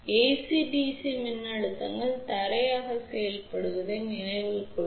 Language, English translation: Tamil, Remember for AC DC voltages act as ground